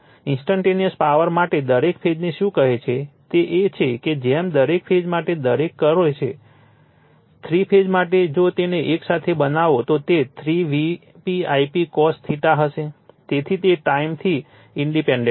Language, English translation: Gujarati, For instantaneous power, for your what you call each phase it is that as the each for each phase does, for three phase if you make it together, it will be 3 V p I p cos theta, so it is independent of time right